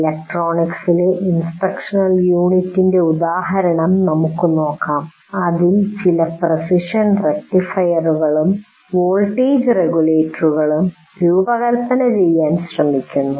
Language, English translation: Malayalam, Let's say electronics one you are trying to look at designing some precision rectifiers and voltage regulators